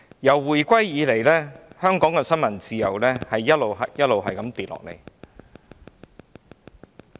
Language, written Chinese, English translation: Cantonese, 自回歸以來，香港的新聞自由一直下跌。, Since the reunification the press freedom in Hong Kong has been on a decline